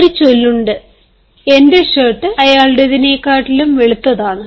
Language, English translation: Malayalam, there is often a saying: my shirt is whiter than yours or him